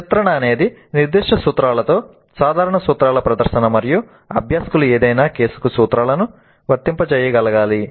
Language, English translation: Telugu, Portrail is demonstration of the general principles with specific cases and learners must be able to apply the principles to any given case